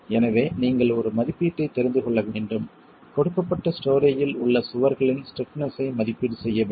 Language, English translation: Tamil, So, you need to know an estimate, you need to have an estimate of the stiffnesses of the walls in a given story